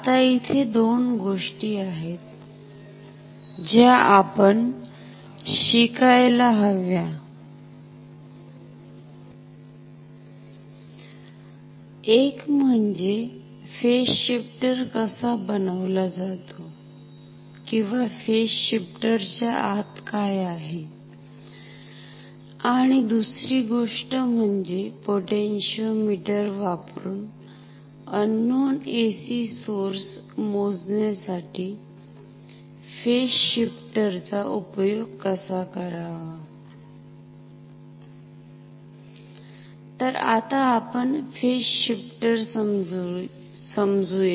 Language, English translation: Marathi, Now, there are two things that we have to learn, number 1 how the phase shifter is made or what is there inside the phase shifter; and secondly, how to use this phase shifter to measure unknown AC source using potentiometer